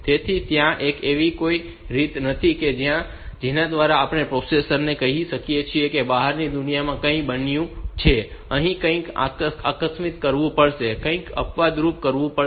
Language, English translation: Gujarati, So, there is no way by which we can tell the processor that something has happened in the outside world, and something emergency has to be done, something exceptional has to be done